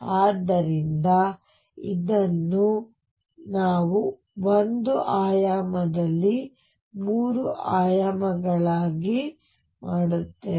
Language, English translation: Kannada, So, this is what we do in 1 dimension what about 3 dimensions